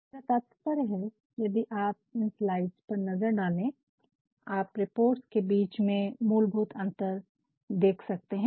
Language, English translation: Hindi, I mean, if you have a look at this slide, you can find the basic differences between the reports